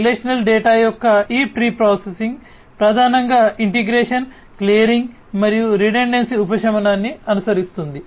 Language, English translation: Telugu, And this pre processing of relational data mainly follows integration, clearing, and redundancy mitigation